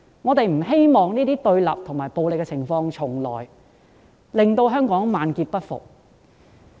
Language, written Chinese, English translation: Cantonese, 我們不希望這些對立和暴力的情況重來，令香港萬劫不復。, We do not want to see the recurrence of such confrontation and violence as they may push Hong Kong into a state of everlasting perdition